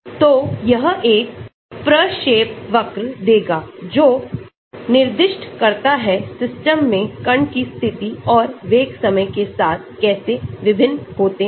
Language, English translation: Hindi, So, it gives a trajectory that specifies how the position and velocity of the particle in the system vary with time